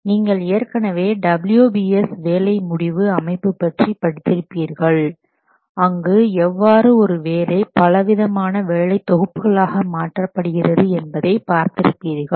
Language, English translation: Tamil, If you have studied the WBS work breakdown structure, there you have seen how a job is divided into several work packages